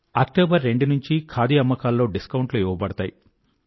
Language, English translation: Telugu, Discount is offered on Khadi from 2nd October and people get quite a good rebate